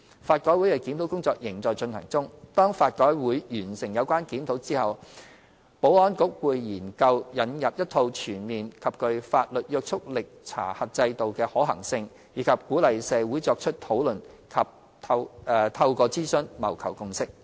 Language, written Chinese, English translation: Cantonese, 法改會的檢討工作仍在進行中。當法改會完成有關檢討之後，保安局會研究引入一套全面及具法律約束力查核制度的可行性，以及鼓勵社會作出討論及透過諮詢謀求共識。, The review by LRC is still in progress and when it is completed the Security Bureau will study the feasibility of introducing an all - round and legally binding checking regime encourage discussion in the community and seek to achieve consensus through consultation